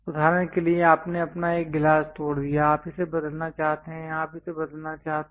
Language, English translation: Hindi, For example you broke your one of the glass, you would like to replace it this one you would like to replace it